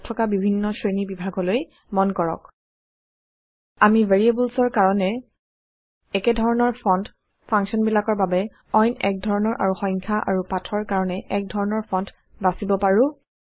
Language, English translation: Assamese, Notice the various categories here: We can set one type of font for variables, another type for functions, another for numbers and text